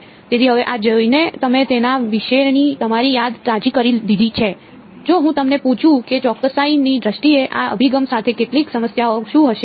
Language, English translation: Gujarati, So, now having seen this now that you have refresh your memory about it, if I ask you what would be some of the problems with this approach in terms of accuracy